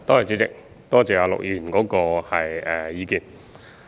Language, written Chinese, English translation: Cantonese, 主席，多謝陸議員的意見。, President I thank Mr LUK for his views